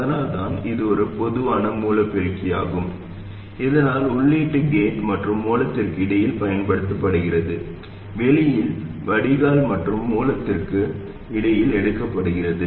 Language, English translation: Tamil, That's why it is a common source amplifier so that the input is applied between gait and source, output is taken between drain and source